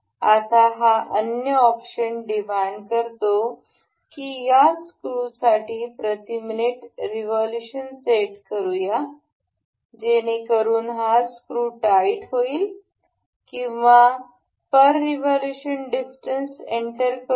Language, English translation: Marathi, Now, this other option that it demands is we can set the revolution per minute for this screw this nut to be tightened or also we can enter this distance per revolution